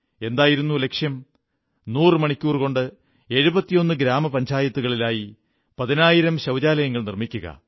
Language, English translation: Malayalam, To construct 10,000 household toilets in 71 gram panchayats in those hundred hours